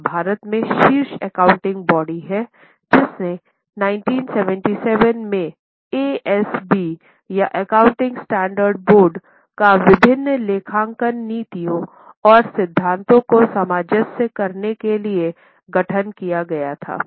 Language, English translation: Hindi, This is an APEX accounting body in India which constituted ASB or accounting standard board in 1997 in order to harmonize various accounting policies and principles